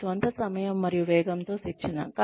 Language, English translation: Telugu, Training at one's own time and pace